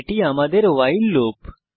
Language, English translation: Bengali, This is our while loop